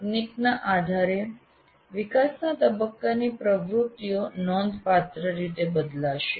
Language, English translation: Gujarati, And depending on the technology, the activities of development phase will completely vary